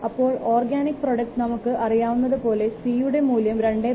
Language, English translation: Malayalam, For organic product, the value of c is 2 to the power 2